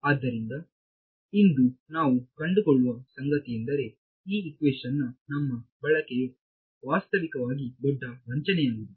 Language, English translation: Kannada, So, what we will find out today is that our use of this equation is actually been very very fraud throughout